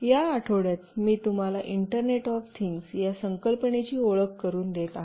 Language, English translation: Marathi, In this week, I will be introducing you to a concept called Internet of Things